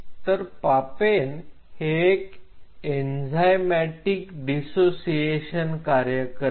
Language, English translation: Marathi, So, the papain act as an enzymatic dissociate